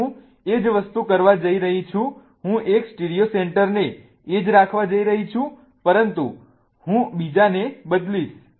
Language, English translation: Gujarati, Now I'm going to do the same thing, I'm going to keep one of the stereocenters the same but I'm going to change the other, okay